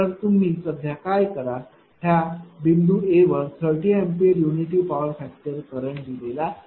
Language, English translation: Marathi, So, what you do the current is given at at point A 30 ampere unity power factor right